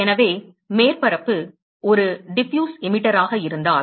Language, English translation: Tamil, So supposing, if the surface is a Diffuse Emitter